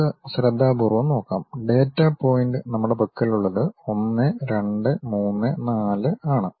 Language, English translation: Malayalam, Let us look at carefully, the data points what we have is 1, 2, 3, 4